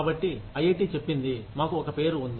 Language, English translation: Telugu, So, IIT says, we have a name